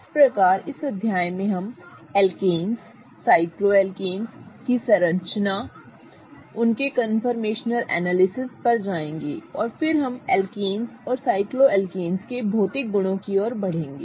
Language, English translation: Hindi, So, in this chapter we will go over the structure of alkanes, cycloalkanes, their conformational analysis and then we will proceed to the physical properties of alkanes and cycloalkanes